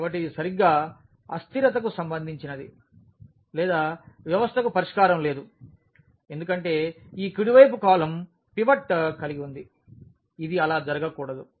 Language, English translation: Telugu, So, which is which is the case exactly of the inconsistency or the system has no solution because this rightmost column has a pivot, this should not happen that